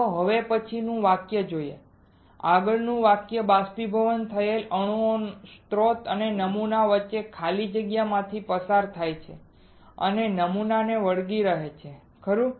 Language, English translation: Gujarati, Let us see the next sentence next sentence is evaporated atoms travel through the evacuated space between the source and the sample and stick to the sample, right